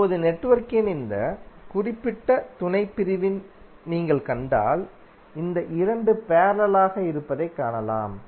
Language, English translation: Tamil, Now, if you see this particular subsection of the network, you can see that these 2 are in parallel